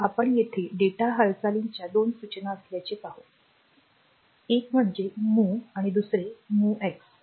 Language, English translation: Marathi, So, will see that there are two data movement instruction one is sorry one is MOV and the other is MOVX